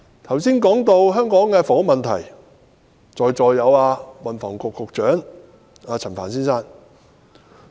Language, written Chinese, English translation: Cantonese, 我剛才談及香港的房屋問題，而現時在席的有運輸及房屋局局長陳帆先生。, I have just talked about Hong Kongs housing problem and the Secretary for Transport and Housing Frank CHAN is among the officials who are present at the meeting now